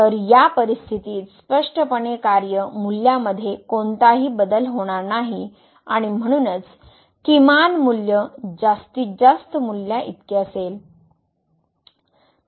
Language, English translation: Marathi, So, in this situation clearly there is no change in the function value and therefore, the minimum value is equal to the maximum value